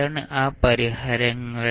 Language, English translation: Malayalam, What are those solutions